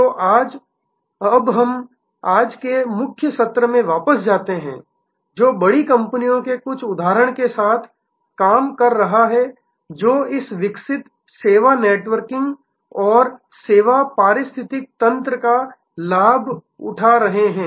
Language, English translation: Hindi, So, now let us go back to the core session of today, which is dealing with some examples of large companies taking advantage of this evolving service networking and service ecosystem